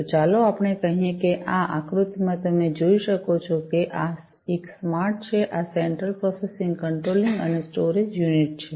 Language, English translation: Gujarati, So, let us say that in this figure as you can see this is the smart, this is the central processing controlling and storage unit